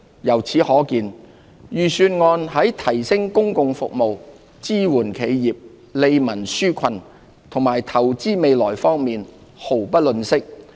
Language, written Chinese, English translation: Cantonese, 由此可見，預算案在提升公共服務、支援企業、利民紓困和投資未來方面，毫不吝嗇。, This demonstrates our determination to enhance public services support enterprises relieve peoples burden and invest for the future . Resources will be allocated as appropriate to support these measures